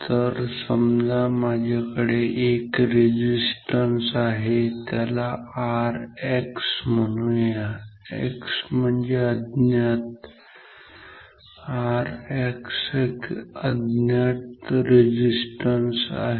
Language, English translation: Marathi, So, suppose I have resistance call it R X; X stands for unknown